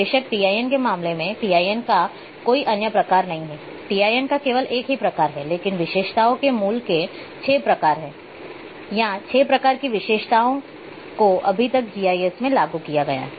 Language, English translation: Hindi, Of course, in case of TIN, there is no other types of TIN are there the single type of TIN, but in case of attributes basics 6, kinds of or 6 types of attributes so, far have been implemented into GIS